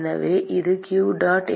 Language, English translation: Tamil, So, that is q dot